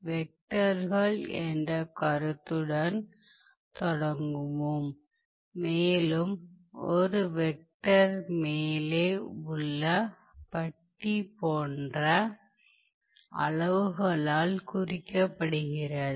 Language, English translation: Tamil, So, this basically is, so let us start with the concept of vectors and a vector is denoted by the quantities like this that is of the bar on the top